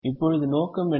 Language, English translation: Tamil, now what is the objective